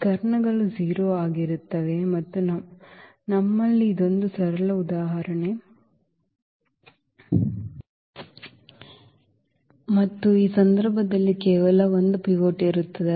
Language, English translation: Kannada, So, this diagonals will be also 0 and we have this very a simple example and in this case, there will be only 1 pivot